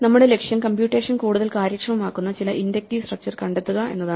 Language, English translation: Malayalam, Our goal is to find some inductive structure which makes this thing computationally more efficient